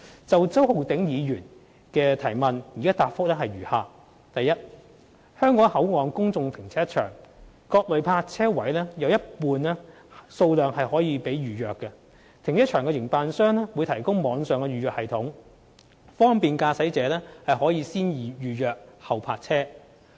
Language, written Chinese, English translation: Cantonese, 就周浩鼎議員的質詢，我現答覆如下：一香港口岸公眾停車場各類泊車位有一半數量可供預約，停車場營辦商會提供網上預約系統，方便駕駛者可"先預約、後泊車"。, My reply to Mr Holden CHOWs question is as follows 1 Half of the various types of parking spaces in the public car parks at the Hong Kong Port will be available for booking . The operator of the car park will introduce an online booking system for motorists to make bookings before parking